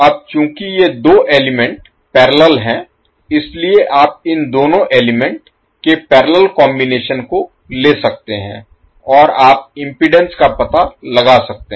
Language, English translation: Hindi, Now since these two elements are in parallel, so you can take the parallel combination of these two elements and you can find out the impedance